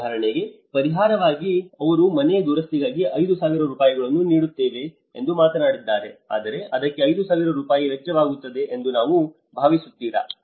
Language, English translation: Kannada, Like for example, in the compensation package, they talked about yes for a house we are giving you 5000 rupees for the repair but do you think it will cost 5000 rupees